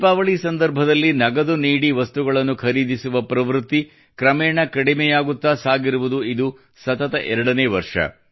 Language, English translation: Kannada, This is the second consecutive year when the trend of buying some goods through cash payments on the occasion of Deepawali is gradually on the decline